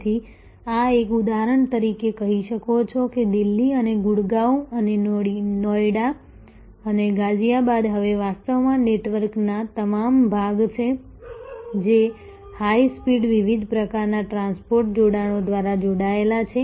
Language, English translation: Gujarati, So, this you can say for example Delhi and Gurgaon and Noida and Ghaziabad are now actually all part of network themselves connected through high speed different types of transport linkages